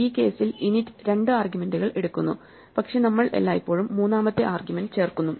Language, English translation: Malayalam, So, init in this case takes two arguments, but we always insert a third argument